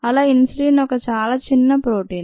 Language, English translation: Telugu, so insulin is really small protein